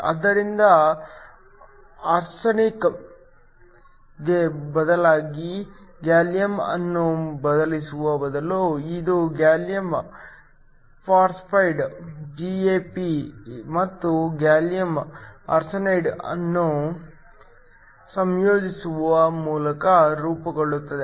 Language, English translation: Kannada, So that, instead of substituting in gallium, the phosphorous substitutes for arsenic, this is formed by combining gallium phosphide GaP and gallium arsenide